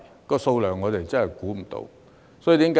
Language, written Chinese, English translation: Cantonese, 這數目我們真的估算不到。, We really have no idea about the number